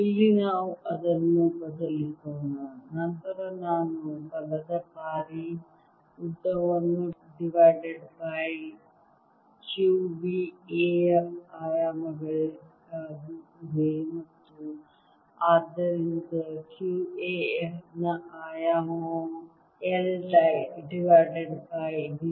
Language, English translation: Kannada, then i get force times length divided by q v as a dimensions of a, and therefore q a as a dimension of f